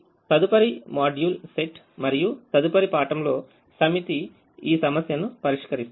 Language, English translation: Telugu, so the next set of module and the next set of classes will address this issue